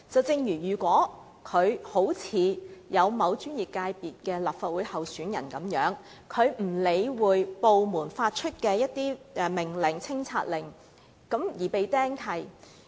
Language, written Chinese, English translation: Cantonese, 正如某專業界別的立法會候選人，他不理會部門發出的清拆令，結果被"釘契"。, In the case of a candidate from a professional sector running for the Legislative Council by - election he ignored the removal order issued by the department and an encumbrance was thus imposed